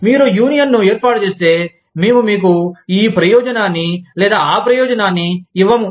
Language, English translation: Telugu, If you form a union, we will not give you this benefit, or that benefit, if you form a union